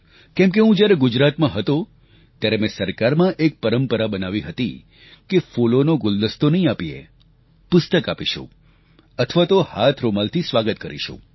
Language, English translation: Gujarati, Because when I was in Gujarat, I had set this tradition of welcoming, by not giving bouquets, but books or handkerchiefs instead